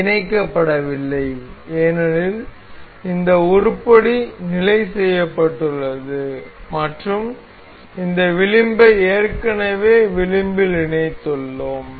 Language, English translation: Tamil, So, it is not mated because this item is fixed and we have already aligned this edge with the edge of this